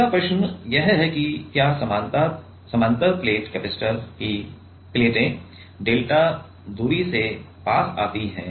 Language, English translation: Hindi, Next question is if the plates of a parallel plate capacitor move closer together by a distance delta